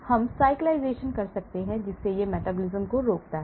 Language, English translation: Hindi, We can cyclise thereby it prevents the metabolism